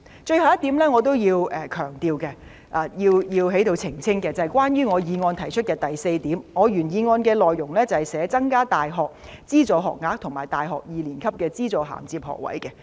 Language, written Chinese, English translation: Cantonese, 最後一點，我要強調及想在這裏澄清的是，關於原議案的第四點，原議案的內容是，"增加大學資助學額和大學二年級的資助銜接學額"。, Lastly I would like to highlight and elucidate on point 4 of the original motion . The words used in the original motion are increasing the numbers of subsidized university places and subsidized top - up places for the second year in universities